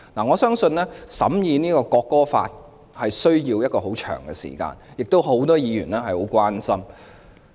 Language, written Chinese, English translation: Cantonese, 我相信審議本地國歌法需要很長時間，很多議員對此也表示關注。, I believe it will take a long time to scrutinize the local national anthem law as many Members have expressed their concerns